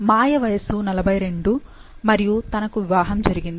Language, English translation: Telugu, Maya is 42 and she is married